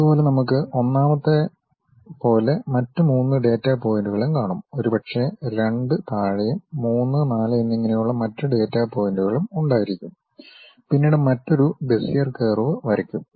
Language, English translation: Malayalam, Similarly, we will be having other data points like one perhaps, two at bottom three and four then again we will be in a position to pass another Bezier curve